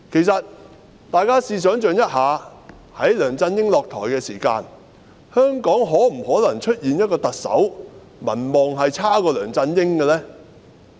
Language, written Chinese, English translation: Cantonese, 大家想象一下，在梁振英下台時，大家當時認為香港是否可能出現一個特首的民望比梁振英還要低的呢？, Think about this Back then when LEUNG Chun - ying stepped down did Members consider it possible that there would come a Chief Executive whose popularity rating is even lower than that of LEUNG Chun - ying?